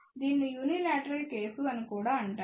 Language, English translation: Telugu, This is also known as a unilateral case